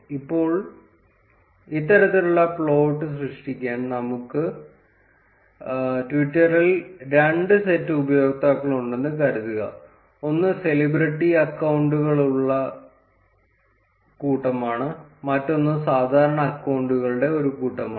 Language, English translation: Malayalam, Now to create this kind of plot, suppose we have two sets of users on twitter, one is a set of celebrity accounts and the other is a set of normal accounts